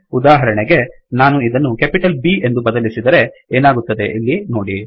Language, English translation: Kannada, For example if I change this to capital B, See what happens here